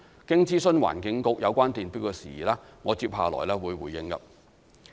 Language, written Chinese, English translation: Cantonese, 經諮詢環境局有關電錶的事宜，我接下來會作回應。, Having consulted the Environmental Bureau on matters relating to electricity meters I will respond to that next